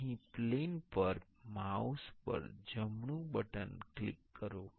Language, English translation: Gujarati, Here on the plane click the right button on the mouse